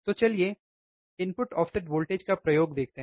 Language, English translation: Hindi, So, let us see input offset voltage experiment